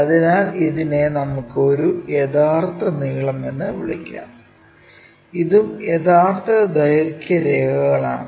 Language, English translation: Malayalam, So, let us call this one true length, this is also true length lines